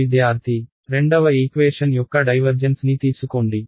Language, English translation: Telugu, Take the divergence of the second equation